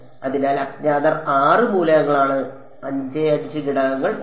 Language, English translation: Malayalam, So, unknowns are 6 elements are 5 5 elements have